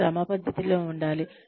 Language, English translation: Telugu, It has to be systematic